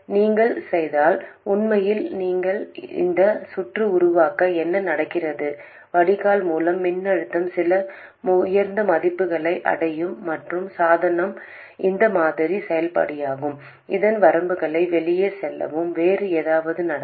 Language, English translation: Tamil, If you do in fact make this circuit, what happens is the drain source voltage will reach some very high values and the device will go out of its limits where this model is valid